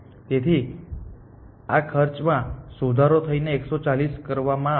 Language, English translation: Gujarati, So, this will revise this cost to 140